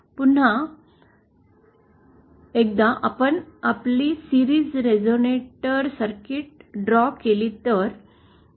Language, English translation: Marathi, Once again if we do our series resonator circuit